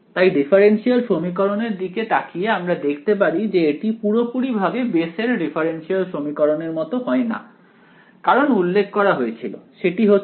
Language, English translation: Bengali, So, looking at our differential equation over here, this is not yet exactly in the form of the Bessel’s differential equation because as was pointed out the factor of